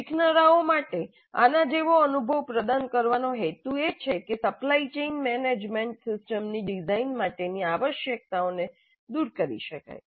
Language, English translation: Gujarati, Now the purpose of providing an experience like this to the learners can be to elicit the requirements for the design of a supply chain management system